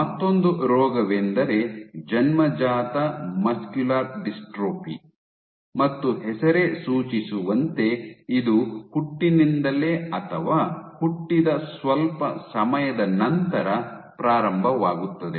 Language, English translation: Kannada, You have congenital muscular dystrophy as the term suggests it starts at birth or shortly afterwards